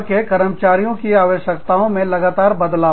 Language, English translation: Hindi, Continuous change, in the needs of employees, worldwide